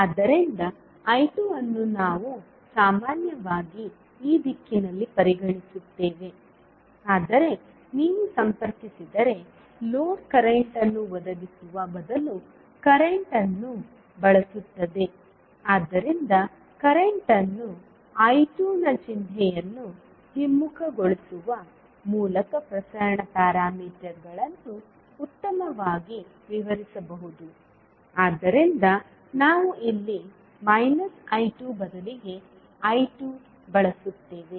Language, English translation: Kannada, So I 2 we generally consider in this direction, but since the load if you connect consumes current rather than providing current so that is why the transmission parameters can best be described by reversing the sign of current I 2 so that is why we use here minus I 2 rather than I 2